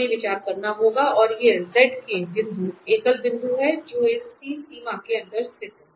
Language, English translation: Hindi, We have to consider and these points are the singular points z k point which lies inside this boundary C